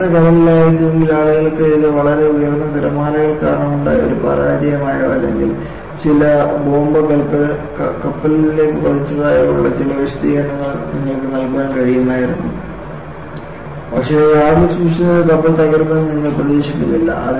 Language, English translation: Malayalam, Heavy sea, people would have ascribed this to very heavy loads, that is coming up because of high waves, and or some bomb has been dropped on to the ship; some such explanation you can give, but you do not expect a ship kept in the yard to break